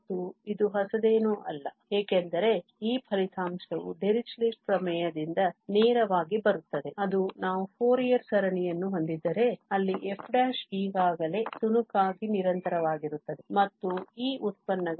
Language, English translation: Kannada, And this is nothing new, because this result is directly coming from the Dirichlet theorem which says that if we have a Fourier series where this f prime is already this piecewise continuous and these derivatives